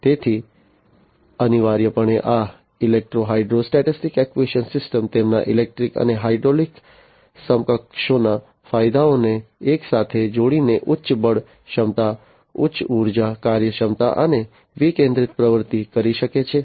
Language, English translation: Gujarati, So, essentially these electro hydrostatic actuation systems by combining the advantages of their electric and hydraulic counterparts together can have higher force capability, higher energy efficiency and decentralized actuation